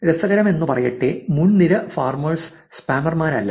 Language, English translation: Malayalam, Interestingly top link farmers are not the spammers